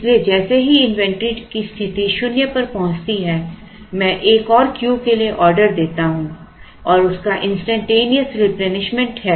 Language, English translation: Hindi, So, as soon as the inventory position reaches zero I place an order I place an order for another Q and there is an instantaneous replenishment of that